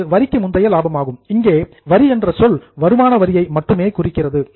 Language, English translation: Tamil, So, profit before tax, here the word tax refers to income tax only